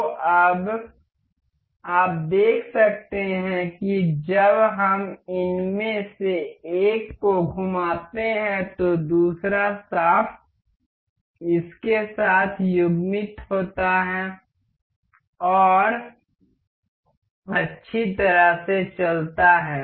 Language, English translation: Hindi, So, now, you can see as we rotate one of these the other shaft is all coupled to it and moves in a nicely nice way